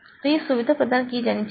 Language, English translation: Hindi, So, that facility should be provided